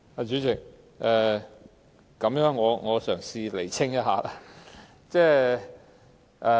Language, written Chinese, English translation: Cantonese, 主席，我嘗試釐清事實。, Chairman I will try to clarify the facts